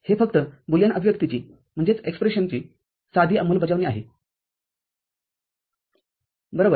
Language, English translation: Marathi, It is just simple implementation of the Boolean expression, right